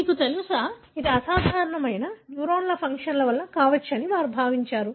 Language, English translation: Telugu, You know, they thought that it could be resulting from abnormal neuronal function